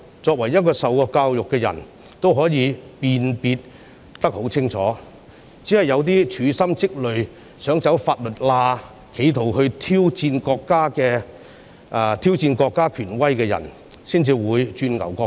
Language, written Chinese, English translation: Cantonese, 接受過教育的人應該可以辨別清楚，只是一些處心積累、想走法律罅及企圖挑戰國家權威的人才會鑽牛角尖。, Educated people should be able to distinguish it clearly . Only people who bend every effort to exploit the loopholes in law and attempt to challenge the authority of the State will be obsessed with splitting hairs